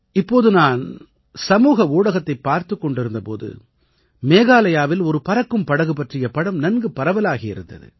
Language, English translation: Tamil, I have been watching on social media the picture of a flying boat in Meghalaya that is becoming viral